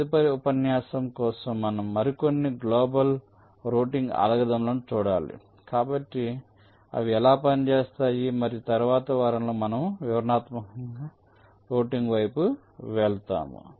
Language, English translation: Telugu, ok, fine, so for next lecture we should looking at some more global routing algorithms, so how they work, and then we will shall be moving towards detailed routing in the next week